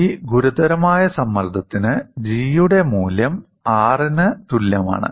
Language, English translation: Malayalam, For this critical stress, the value of G is equal to R